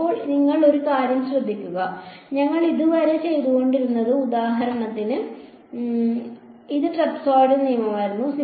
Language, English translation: Malayalam, Now, so you notice one thing that what we were doing so far is for example, this was trapezoidal rule